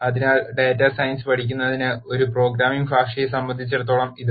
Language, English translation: Malayalam, So, that is as far as a programming language is concerned for learning data science